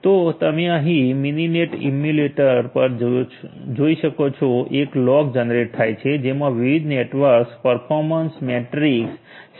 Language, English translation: Gujarati, So, here you can see at the Mininet emulator a log is generated which contains the different network performance matrix